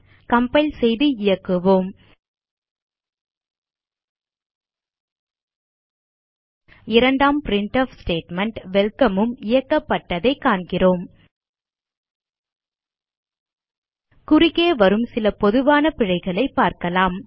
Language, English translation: Tamil, Let us compile and execute We see that the second printf statement welcome has also has been executed Now let us see the common errors which we can come across